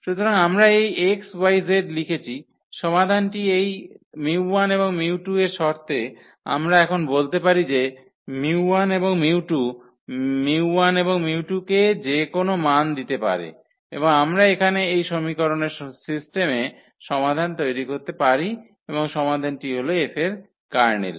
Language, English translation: Bengali, So, we have written this x, y, z the solution in terms of this mu 1 and mu 2 we can play now mu 1 mu 2 can give any values to mu 1 and mu 2 and we can keep on generating the solution here of this system of equation and the solution that is nothing but the Kernel of F